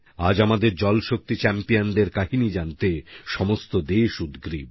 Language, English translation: Bengali, Today the entire country is eager to hear similar accomplishments of our Jal Shakti champions